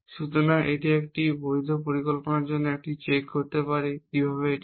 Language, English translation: Bengali, So, I can do a check for a valid plan how to a do that